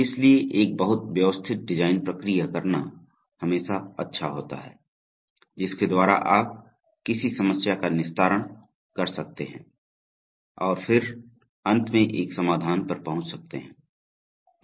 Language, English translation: Hindi, So it is always good to have a very systematic design process, by which you can decompose a problem and then finally arrive at a solution